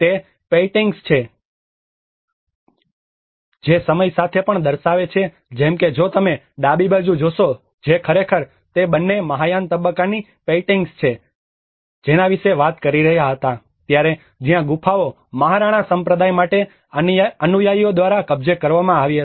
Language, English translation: Gujarati, It is also the paintings which also depict with the time like if you see the left hand side one which actually both of them they are talking about the paintings of the Mahayana phase were drawn where the caves were occupied by the followers for the Mahayana sect